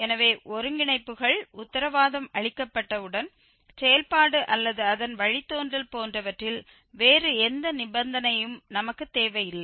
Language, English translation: Tamil, So, once we have that the convergences guaranteed, we do not need any other condition on the function or its derivative, etc